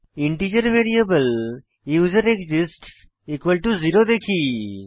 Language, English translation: Bengali, Then we initialize the integer variable userExists to 0